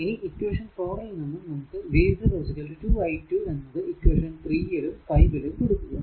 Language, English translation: Malayalam, So, these equation you substitute v 0 is equal to 2 i 2 this equation you substitute, right